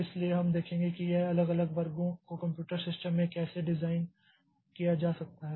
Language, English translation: Hindi, So, we'll see how this individual sections can be designed in a computer system